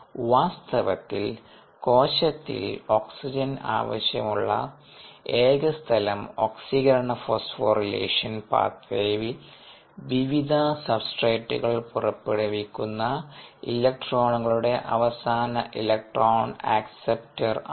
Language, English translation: Malayalam, in fact, the only place where oxygen is required in the cell is as the final electronic acceptor ah of the electrons released by various ah substrates in the oxidative phosphour relation pathway